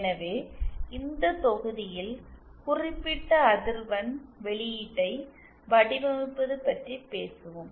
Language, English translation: Tamil, So, in this module we shall be talking about designing particular frequency response